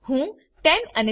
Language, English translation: Gujarati, I will enter 10 and 15